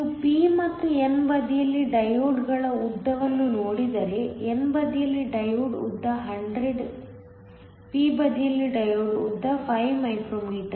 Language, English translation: Kannada, If you looked at the length of the diodes on the p and the n side on the n side the diode length is 100 on the p side the diode length is 5 micro meters